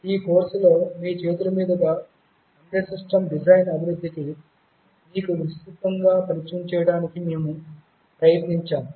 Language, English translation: Telugu, In this course, we have tried to give you a broad introduction to hands on development of embedded system design